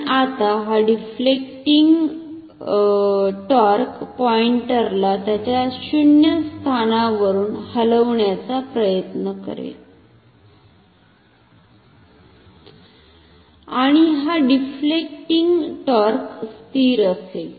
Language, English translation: Marathi, And now this deflecting torque will try to move the pointer from it is 0 position and this deflecting torque is constant if I assume the current is constant